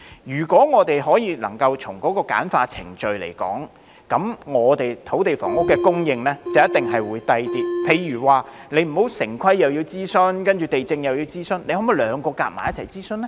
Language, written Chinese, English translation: Cantonese, 如果我們能夠簡化程序，我們的土地房屋供應成本一定會較低，例如不用諮詢完城市規劃委員會，接着又要諮詢地政總署，可否兩者合併諮詢呢？, The cost of supplying land for housing will definitely be lower should the procedures be streamlined . For example we do not have to consult the Town Planning Board and then the Lands Department . Can the two steps of consultation be merged into one?